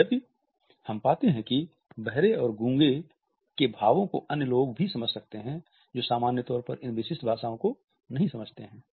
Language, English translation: Hindi, Even though we find that the expressions of the deaf and dumb can also be understood by other people who do not understand these specific languages for the differently abled people